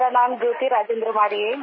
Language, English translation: Hindi, My name is Jyoti Rajendra Waade